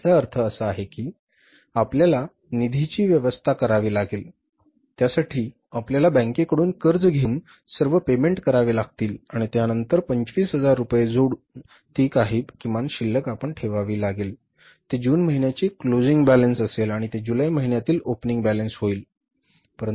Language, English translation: Marathi, So it means you have to arrange the funds for that, borrow the funds from the bank, make all the payments and then whatever is the minimum balance we have kept of 25,000 rupees will be the closing balance for the month of June and that will become the opening balance for the month of July